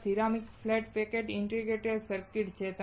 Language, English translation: Gujarati, This is ceramic flat pack integrated circuit